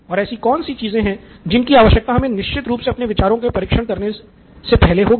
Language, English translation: Hindi, What are some of the things that we definitely need before we can even start testing our ideas